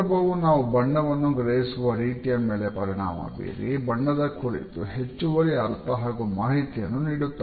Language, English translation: Kannada, And it is a context which affects our perception of a color and gives an additional understanding and information